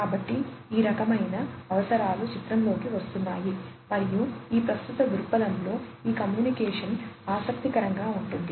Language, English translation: Telugu, So, those kind of requirements are coming into picture and that is what makes this communication interesting in this current perspective